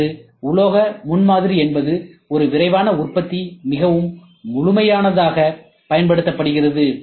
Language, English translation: Tamil, Today, metal prototyping is something which is a rapid manufacturing is very exhaustively used